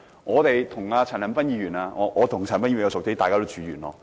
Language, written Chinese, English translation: Cantonese, 我和陳恒鑌議員較為相熟，大家都住在元朗。, I am quite familiar with Mr CHAN Han - pan as we both live in Yuen Long